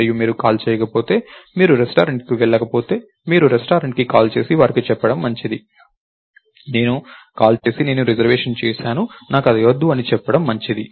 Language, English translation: Telugu, go to the restaurant, its good for you to call the restaurant and tell them, I I even though I called, I made a reservation, I don't want it any more